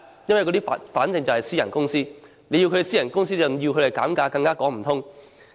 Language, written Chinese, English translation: Cantonese, 因為對方是私人公司，要求私人公司減價更說不通。, It is because these are private companies and it does not make sense to ask private companies to reduce fares